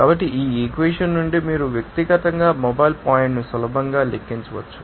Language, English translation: Telugu, So, from this equation you can easily calculate the mobile point in person